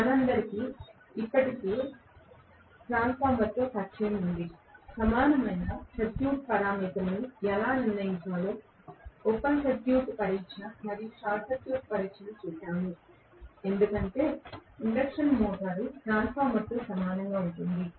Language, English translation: Telugu, We all are already familiar with transformer, how to determine the equivalent circuit parameters, we had seen open circuit test and short circuit test, as induction motor is very similar to a transformer